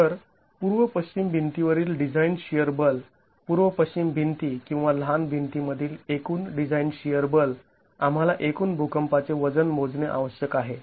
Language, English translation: Marathi, So, the design shear force in the east west walls, the total design shear force in the east west walls or our shuttle walls, we need to estimate the total seismic weight